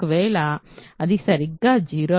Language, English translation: Telugu, If, it is exactly 0 then I is 0Z right